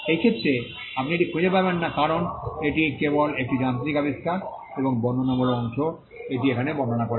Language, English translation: Bengali, In this case, you do not find that because this is only a mechanical invention and the descriptive part has described it